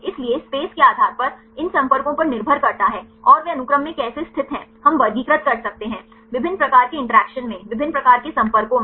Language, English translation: Hindi, So, depending upon these contacts right based on the space, and how they are located in the sequence we can classify into different types of interactions right different types of contacts